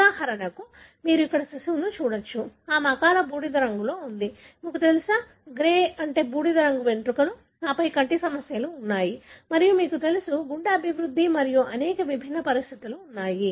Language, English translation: Telugu, For example, you can see here the baby; she has got premature grey, you know, grey hairs and then there are problems with eye and there are problem with, you know, heart development and many, many different conditions